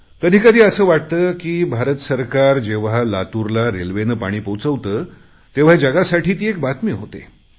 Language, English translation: Marathi, When the government used railways to transport water to Latur, it became news for the world